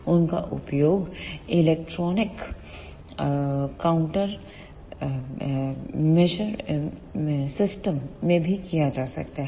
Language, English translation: Hindi, They can also be used in electronic counter measure system ECM